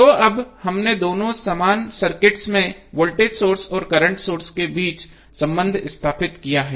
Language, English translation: Hindi, So now, we have stabilized the relationship between voltage source and current source in both of the equivalent circuit